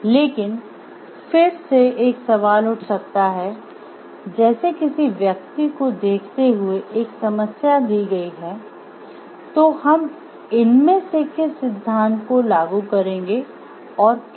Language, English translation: Hindi, But again a question may arise like given a situation given a problem at hand what are through which of these theories we will be applying